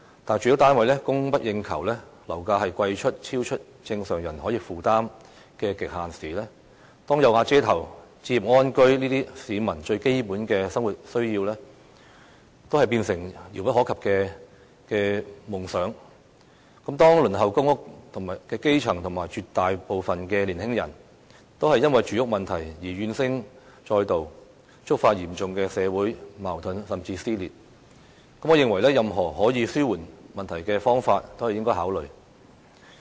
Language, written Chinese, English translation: Cantonese, 但是，當住屋單位供不應求，樓價超出正常人可以負擔的極限時；當"有瓦遮頭"、置業安居等最基本的生活需要都變成遙不可及的夢想時；當輪候公屋的基層和絕大部分年輕人都因為住屋問題而怨聲載道，觸發嚴重的社會矛盾甚至撕裂時，我認為任何可以紓緩問題的方法都應該考慮。, But when property prices have exceeded the affordable limits of ordinary people due to excessive demand; when basic living needs such as having a roof over ones head and acquiring a home have turned into an unreachable dream; when the housing problem has led to widespread grievances among grass - roots people waiting for public housing allocation and also an overwhelming majority of youngsters and triggered serious social conflicts and even dissension I think any measures which are capable of alleviating the problem should be considered